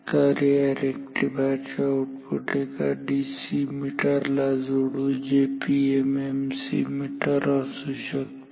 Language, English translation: Marathi, So, the output of this rectifier will be connected to a DC meter a PM MC meter maybe